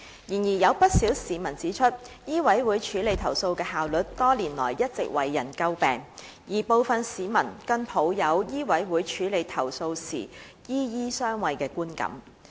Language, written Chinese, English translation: Cantonese, 然而，有不少市民指出，醫委會處理投訴的效率多年來一直為人詬病，而部分市民更抱有醫委會處理投訴時"醫醫相衛"的觀感。, However quite a number of members of the public have pointed out that the efficiency of MCHK in handling complaints has all along been a subject of criticism over the years and some members of the public even perceive that doctors harbour each other in the handling of complaints by MCHK